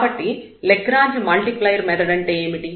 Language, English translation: Telugu, So, what is the method of Lagrange multiplier